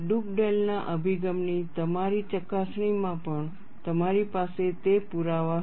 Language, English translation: Gujarati, You had that evidence even in your verification of Dugdale’s approach